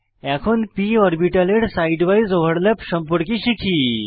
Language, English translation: Bengali, Now lets learn about side wise overlap of p orbitals